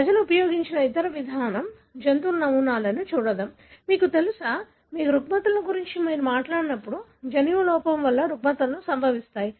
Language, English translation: Telugu, The other approach people have used is to look at animal models, you know, when you talk about disorders, disorders are caused by defect in a gene